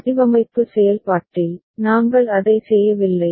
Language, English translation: Tamil, And in the design process, we did not do it